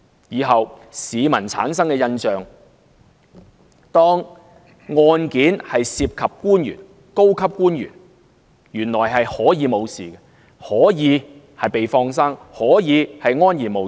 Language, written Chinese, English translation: Cantonese, 以後市民的印象，便是當案件涉及官員和高級官員時，涉事者是可以脫身，可以被"放生"，可以安然無恙。, In future people will have the impression that officials or senior officials who are involved in legal cases can escape prosecution get a pardon and stay safe